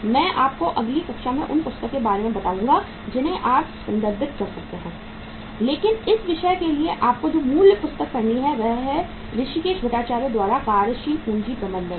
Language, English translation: Hindi, I will tell you in the next class the number of books you can refer to and but the basic book which you have to follow for this subject is that is the Working Capital Management by Hrishikes Bhattacharya